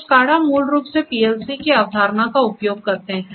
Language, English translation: Hindi, So, this SCADA and SCADA in turn basically use the concept of the PLCs